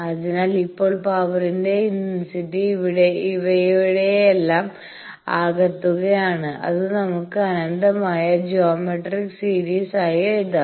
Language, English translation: Malayalam, So, now we can sum the power intensity will be sum of all these and that we can write as infinite geometric series